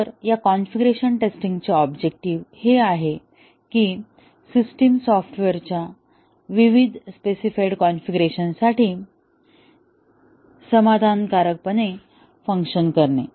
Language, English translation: Marathi, So, the objective of this testing, configuration testing is that does the system work satisfactorily for the various specified configurations of the software